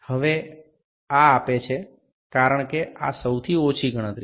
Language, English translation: Gujarati, Now this gives because this is the least count